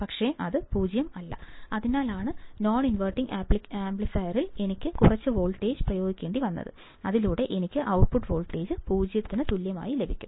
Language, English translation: Malayalam, But it is not 0, that is why I have to apply some amount of voltage, at the inverting and non inverting amplifier so that I can get the output voltage equal to 0